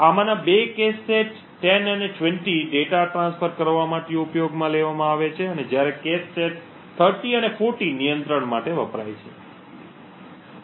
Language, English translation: Gujarati, 2 of these cache sets 10 and 20 are used for transferring data while the cache set 30 and 40 are used for control